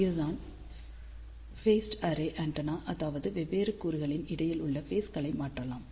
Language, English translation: Tamil, This is the principle of phased array antenna, that you change the phases between the different elements